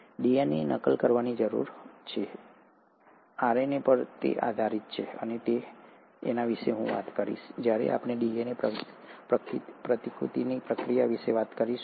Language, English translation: Gujarati, The DNA needs to replicate, it does depend on RNA, and I’ll talk about this, when we talk about the process of DNA replication